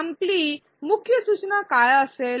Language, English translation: Marathi, What will your main suggestion be